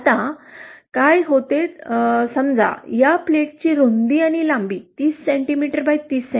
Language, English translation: Marathi, Now what happens is suppose this is let is say the width and length of this plate is 30 cm by 30 cm